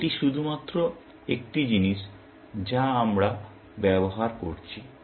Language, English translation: Bengali, That is just an additional thing that we are using